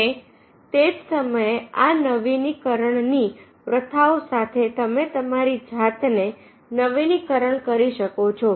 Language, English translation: Gujarati, so and at the same time, with this renewal practices, you can renew yourself